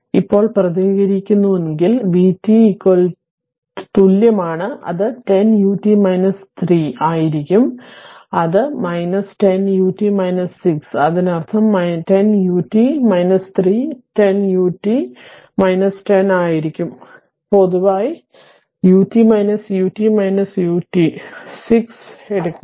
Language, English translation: Malayalam, So, if you represent now, v t is equal it will be 10 u t minus 3 that is your; this one minus 10 u t minus 6; that means, it will be 10 u t minus 3 minus 10 u t minus 10, you take common u t minus u t minus u t minus 6 right